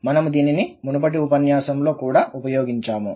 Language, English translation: Telugu, We have also used this in previous lectures